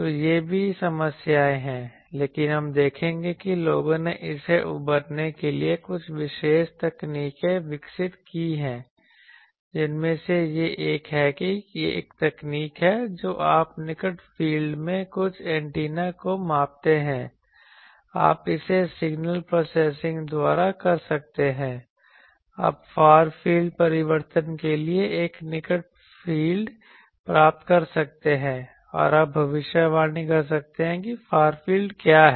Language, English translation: Hindi, So, all these poses problems but we will see that the people have developed some special techniques to overcome that, one of that is there is a technique that you measure some antenna in the near field, you can by signal processing you can get a near field to far field transform and you can predict what is the far field